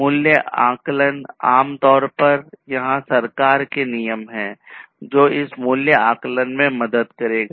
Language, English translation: Hindi, Price estimations, there are government regulations typically, which will help in this price estimation